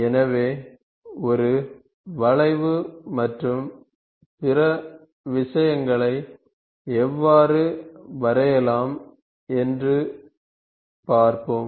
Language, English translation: Tamil, So, we will see how to draw a curve and other things